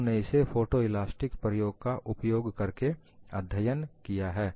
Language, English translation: Hindi, People have studied all that using photo elastic experiments